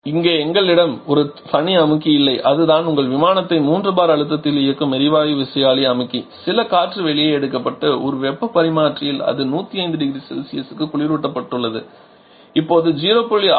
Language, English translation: Tamil, Here we are not having a separate compressor that is the gas turbine compressor which is running your aircraft from there at 3 bar pressure some air has been taken out and in a heat extend it has been cool to 105 degree Celsius